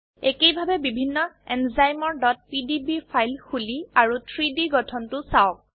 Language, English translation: Assamese, Similarly try to open .pdb files of different enzymes and view their 3D structures